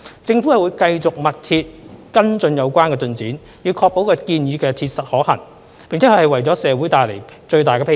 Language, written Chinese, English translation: Cantonese, 政府會繼續密切跟進有關進展，以確保建議切實可行，並能為社會帶來最大裨益。, The Government will closely monitor the progress to ensure that the proposal is practically feasible and can bring maximum benefits to the community